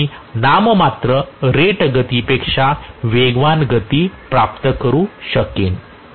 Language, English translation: Marathi, Only then I will be able to achieve a speed which is greater than the nominal rated speed